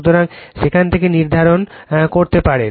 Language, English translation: Bengali, So, from there you can determine right